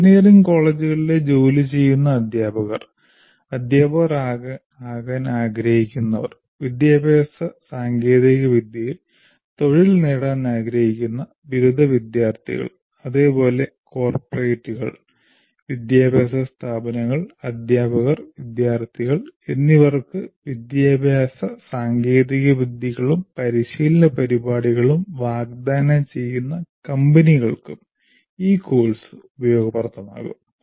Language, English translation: Malayalam, And this course, as we mentioned earlier, will be useful to working teachers in engineering colleges, aspiring teachers, graduate students who wish to make careers in education technology, and also companies offering education technologies and training programs to corporates, educational institutes, teachers and students